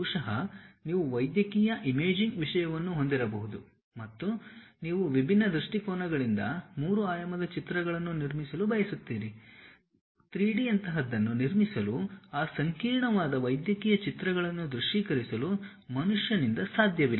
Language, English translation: Kannada, Perhaps you might be having a medical imaging thing and you would like to construct 3 dimensional pictures from different views, is not possible by a human being to really visualize that complicated medical images to construct something like 3D